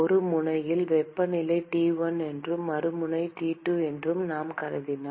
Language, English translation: Tamil, And if I assume that temperature on one end is T1 and the other end is T2